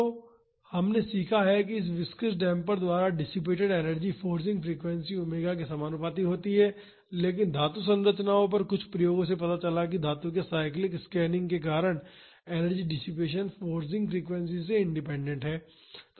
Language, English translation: Hindi, So, we have learnt that energy dissipated by a viscous damper is proportional to the forcing frequency omega, but some experiments on metallic structures showed that, the energy dissipation due to cyclic straining of a metal is independent of the forcing frequencies